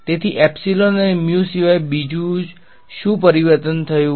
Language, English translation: Gujarati, So, apart from epsilon and mu what is the other change that happened